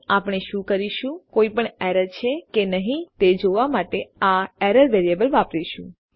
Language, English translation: Gujarati, And what well do is well use this variable error to see if there are any errors